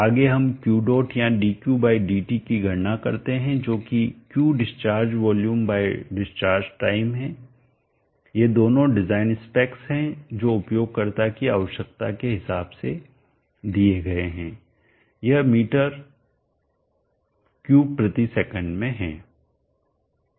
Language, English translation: Hindi, or dq/dt which is Q that discharge volume by discharge time these two are design given by the user requirement in meter cube per second